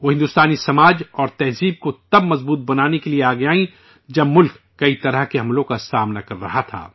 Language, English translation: Urdu, She came forward to strengthen Indian society and culture when the country was facing many types of invasions